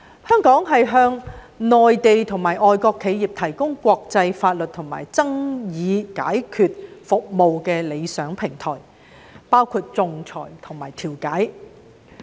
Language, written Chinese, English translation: Cantonese, 香港是向內地和外國企業提供國際法律及爭議解決服務的理想平台，包括仲裁和調解。, Hong Kong is the ideal platform for the provision of international legal and dispute resolution services including arbitration and mediation to Mainland and foreign companies